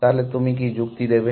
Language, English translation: Bengali, So, what is the argument you would give